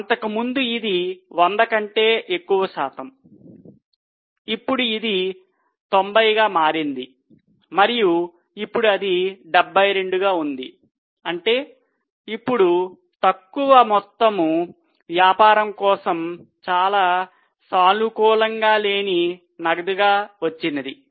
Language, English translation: Telugu, There also you see a drop earlier it was more than 100% then it became 90 and now it is 72, which means that lesser amount is now getting realized as a cash which is not a very positive value for the business